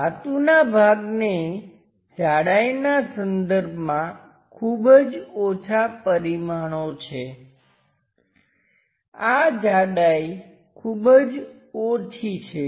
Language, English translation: Gujarati, The metallic part having very small dimensions in terms of thickness, this is the thickness very small